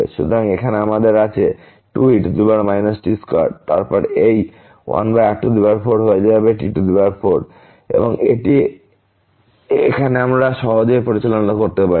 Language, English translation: Bengali, So, here we have 2 power minus square and then this 1 over 4 will become 4 and this we can now handle easily